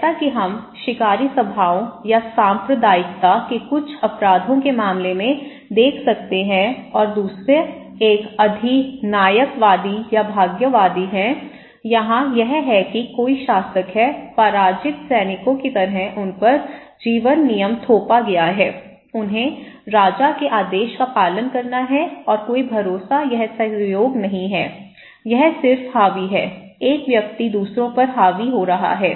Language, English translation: Hindi, Like we can see in case of hunter gathering bands or some crimes of communes and another one is the authoritarian or fatalists, here is that somebody there is a ruler, life is constrained by rule imposed by other like defeated soldiers okay, they have to follow the order of the king and there is no trust or cooperations, this is just dominating, one person is dominating others, okay